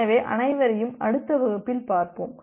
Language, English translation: Tamil, So, see you all in the next class